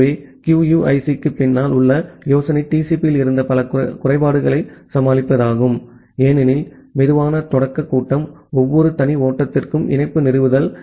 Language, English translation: Tamil, So, idea behind QUIC is to overcome many of the shortcomings which were there in TCP, because of the slow start phase, the connection establishment for every individual flow